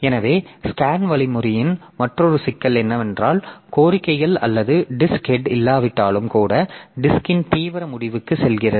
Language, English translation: Tamil, So, another problem with the scan algorithm that I was talking about is that even if there is no request or disk head goes to the extreme end of the disk